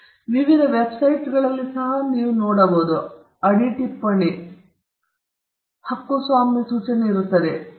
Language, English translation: Kannada, You might find in various websites, in the footer, there is a copyright notice